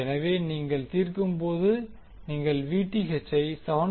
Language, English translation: Tamil, So, when you solve, you get Vth as 7